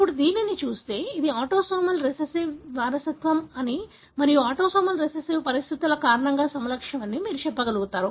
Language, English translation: Telugu, Now, looking at it you will be able to say this is a autosomal recessive inheritance and the phenotype is because of autosomal recessive conditions